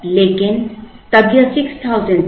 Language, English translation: Hindi, But, then it was 6000